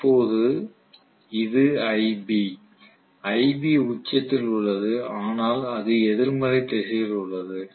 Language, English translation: Tamil, Now this is ib, ib is at it is peak but it is in the negative direction right